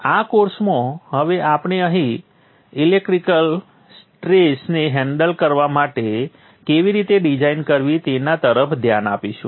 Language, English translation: Gujarati, In this course now we will look at how to design for the thermal how to design for handling the electrical stresses